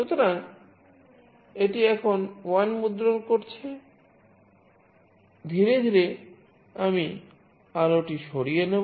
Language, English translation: Bengali, So, it is printing 1 now slowly, I will take away the light